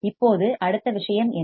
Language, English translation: Tamil, Now what is the next thing